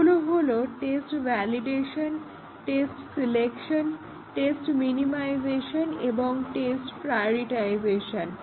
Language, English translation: Bengali, One is test validation, test selection, test minimization and test prioritization